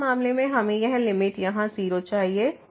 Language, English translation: Hindi, So, in this case this limit here is 0